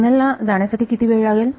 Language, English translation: Marathi, So, what is the time required for the signal to go